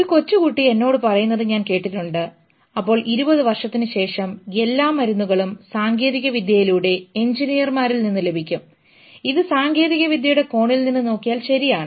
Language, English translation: Malayalam, I heard a young boy saying telling me that in 20 years all medicine will be done by technology, by engineers, which is fine from the angle of technology